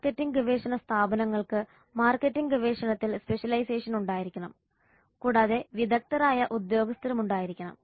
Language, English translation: Malayalam, Marketing research firm should have specialization in marketing research and have skilled personnel